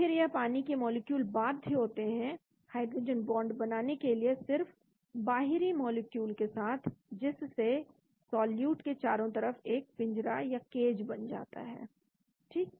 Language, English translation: Hindi, then the water molecules are forced to form hydrogen bond only with outer molecules creating a cage around the solute right